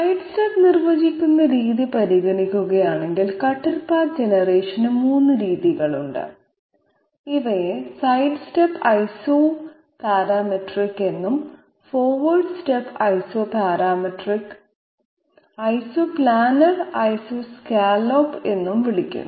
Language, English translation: Malayalam, So there are 3 methods of cutter path generation if we consider the way in which we are defining the side step these are called Isoparametric sorry side step and forward step Isoparametric, Isoplanar and Isoscallop